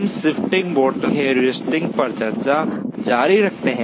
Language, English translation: Hindi, We continue the discussion on the Shifting Bottleneck Heuristic